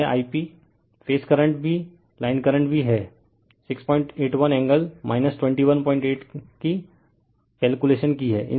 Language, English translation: Hindi, And this I p phase current also line current, we have also computed 6